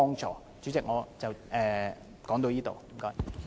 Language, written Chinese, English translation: Cantonese, 主席，我謹此陳辭，多謝。, Chairman I so submit . Thank you